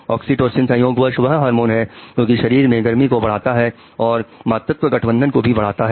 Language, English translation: Hindi, Oxytocin incidentally is also a hormone which increases the warmth and maternal bonding